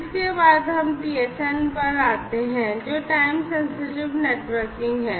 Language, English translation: Hindi, Next, we come to the TSN, which is the Time Sensitive Networking